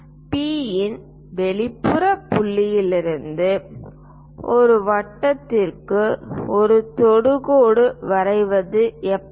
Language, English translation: Tamil, How to draw a tangent to a circle from an exterior point P